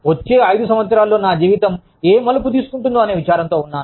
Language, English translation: Telugu, I am worried about, how my life will shape up, in the next five years